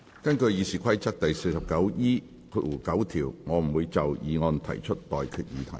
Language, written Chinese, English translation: Cantonese, 根據《議事規則》第 49E9 條，我不會就議案提出待決議題。, In accordance with Rule 49E9 of the Rules of Procedure I will not put any question on the motion